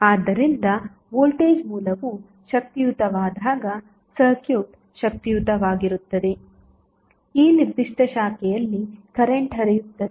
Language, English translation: Kannada, So, when this will be energized, the circuit will be energized, the current will flow in this particular branch